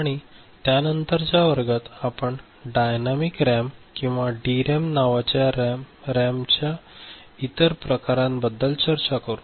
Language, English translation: Marathi, And we shall discuss the other type of RAM also called Dynamic RAM or DRAM in subsequent class